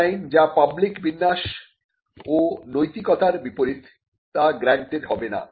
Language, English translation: Bengali, Designs that are contrary to public order or morality will not be granted